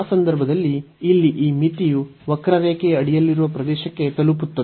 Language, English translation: Kannada, So, in that case this limit here will approach to the area under the curve